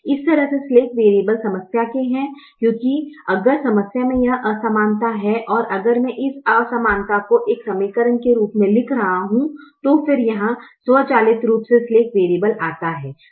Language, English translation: Hindi, in a way, the slack variables belong to the problem because if the problem has this inequality and if i am writing this inequality as an equation here, then automatically the slack variable comes, so it is part of the problem